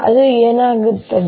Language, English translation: Kannada, what happens then